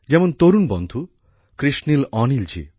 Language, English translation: Bengali, Such as young friend, Krishnil Anil ji